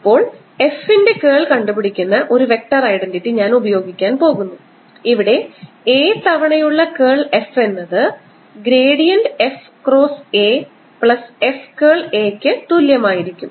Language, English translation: Malayalam, now i am going to use a vector identity which is curl of f, where f is a scalar function times a is equal to gradient of f cross a plus f